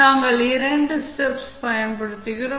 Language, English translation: Tamil, We use two steps